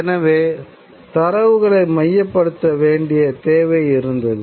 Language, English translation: Tamil, And therefore there was a need for centralized transmission